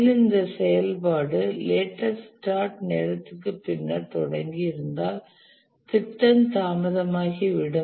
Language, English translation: Tamil, And if the activity is started anywhere later than the latest start time, then the project is going to be delayed